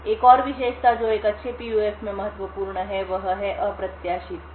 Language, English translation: Hindi, Another feature which is important in a good PUF is the unpredictability